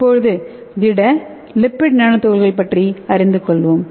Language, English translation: Tamil, So let us see what is solid lipid nano particles